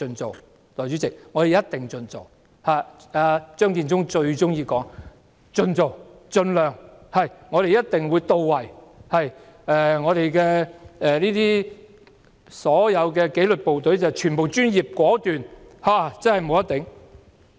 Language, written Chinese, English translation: Cantonese, 代理主席，政府一定會盡量做——張建宗最喜歡說"盡做"、"盡量"、"我們的工作一定會到位"、"所有紀律部隊全部專業果斷"。, Deputy President the Government will definitely do as far as feasible Matthew CHEUNGs favourite words are do as far as feasible as far as possible or our work will definitely meet the required levels the disciplined services are all professional and decisive